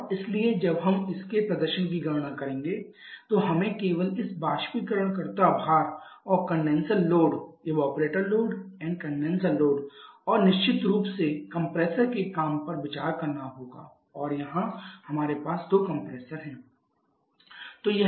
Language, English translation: Hindi, And therefore when we shall be calculating the performance of this we only have to consider this evaporator load and this condenser load and of course the compressor work and here we have two compressors